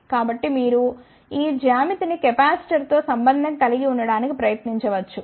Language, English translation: Telugu, So, you can try to relate this geometry with the capacitor